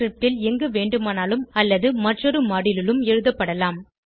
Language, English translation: Tamil, Note: function definition can be written anywhere in the script or in another module